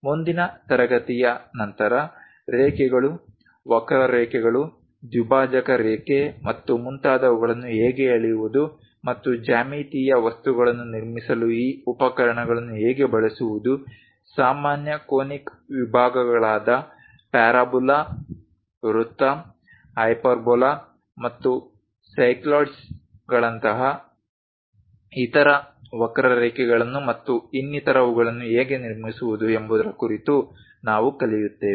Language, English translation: Kannada, In the next class onwards we will learn about how to draw lines curves, bisector lines and so on how to utilize these instruments to construct geometrical things, how to construct common conic sections like parabola, circle, hyperbola and other curves like cycloids and so on